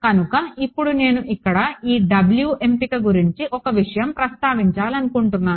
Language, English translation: Telugu, So, now one thing I want to mention over here, about the choice of these W ok